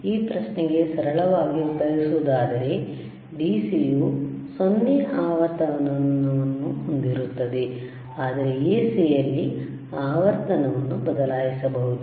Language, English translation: Kannada, In a very crude way to answer this particular question, the DC would have 0 frequency while AC you can change the frequency